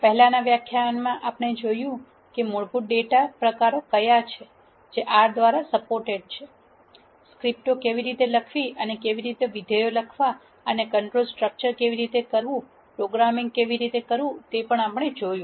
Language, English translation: Gujarati, In the previous lectures, we have seen; what are the basic data types that are supported by R, how to write scripts, how to write functions and how to do control structures, how to do programming and so on